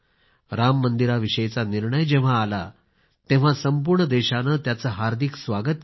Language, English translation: Marathi, When the verdict on Ram Mandir was pronounced, the entire country embraced it with open arms